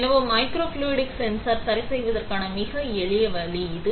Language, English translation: Tamil, So, this is a very simple way of making a microfluidic sensor ok